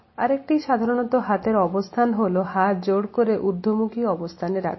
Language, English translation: Bengali, Another commonly held position of hands is that of folded hands